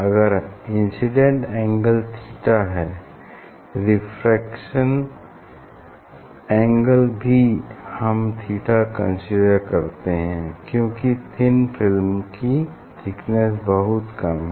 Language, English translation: Hindi, if incident angle is theta; refracted angle also we are considering theta because, here this thickness is very small, we consider thin film